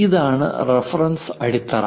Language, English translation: Malayalam, This is the reference base